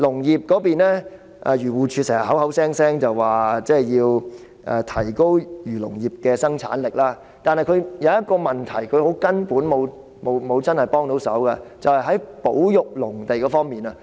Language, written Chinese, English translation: Cantonese, 漁護署經常聲稱要提高漁農業的生產力，但署方沒有真正解決一個根本問題，就是保育農地。, AFCD often speaks about the need to enhance the productivity of the agriculture and fisheries industries and yet the Department has failed to tackle a fundamental issue conservation of agricultural land